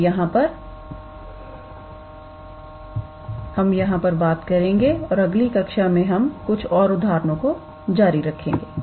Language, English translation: Hindi, We will stop today lecture here and then in the next class we will continue with some further examples